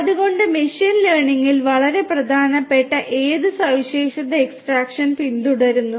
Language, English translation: Malayalam, So, in machine learning feature extraction is very important